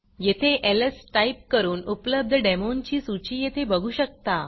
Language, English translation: Marathi, We will type ls to see the list of demos available, as you see here